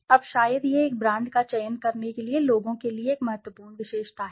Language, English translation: Hindi, Now maybe that is an important attribute for people to select a brand